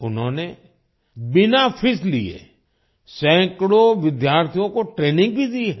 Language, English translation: Hindi, He has also imparted training to hundreds of students without charging any fees